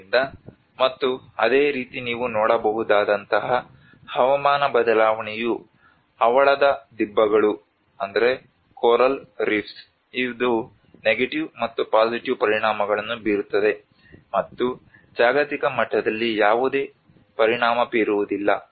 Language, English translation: Kannada, So and similarly the climate change like what you can see is the coral reefs, which has a negative and positive impacts and no effect on the global level